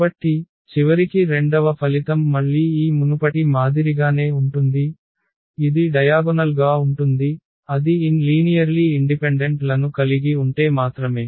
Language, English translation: Telugu, So, eventually this second result here is again the same as this previous one; that is diagonalizable, if and only if it has n linearly independent vectors